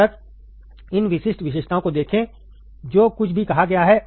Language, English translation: Hindi, Till then, see this particular specifications whatever has been told